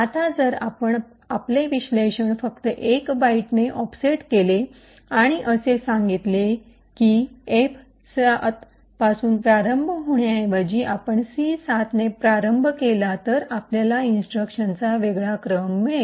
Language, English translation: Marathi, Now if we just offset our analysis by 1 byte and state that instead of starting from F7 we start with C7 then we get a different sequence of instructions